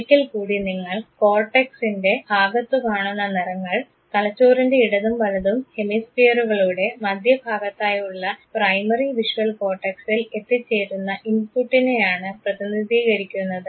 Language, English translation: Malayalam, Once again the colors, that you see in the part of the cortex represent the input that has reach the primary visual cortex on the middle surfaces of the left and right hemispheres of the brain